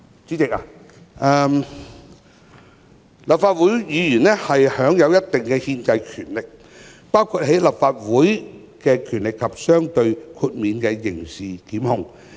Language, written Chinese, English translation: Cantonese, 主席，立法會議員享有一定的憲制權力，包括立法的權力及相對的豁免刑事檢控權。, President Members of the Legislative Council enjoy certain constitutional powers including the powers to legislate and relative immunity from criminal prosecution